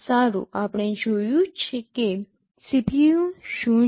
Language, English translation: Gujarati, Well we have seen what is a CPU